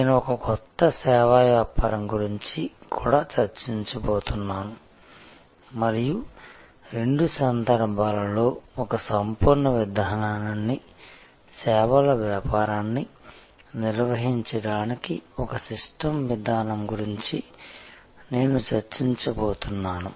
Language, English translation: Telugu, And I am also going to discuss about a new service business and in both cases, I am going to discuss, how one can take a holistic approach, a systems approach to managing the services business